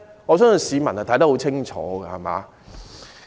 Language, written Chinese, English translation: Cantonese, 我相信市民看得十分清楚。, I believe members of the public will see it clearly